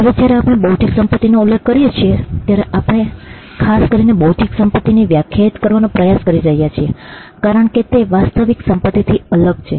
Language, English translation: Gujarati, Now when we mention intellectual property, we are specifically trying to define intellectual property as that is distinct from real property